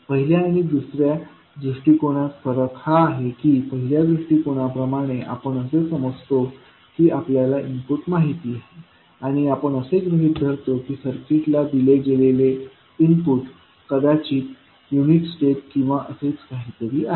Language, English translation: Marathi, So, the difference between first approach and second approach is that – in first approach we assume input as known and we take some assumption that the input given to the circuit is maybe unit step or something like that